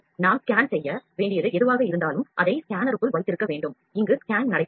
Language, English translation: Tamil, Whatever we need to scan, we have to keep it inside the scanner and scan will take place